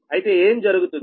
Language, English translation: Telugu, in that case, what will happen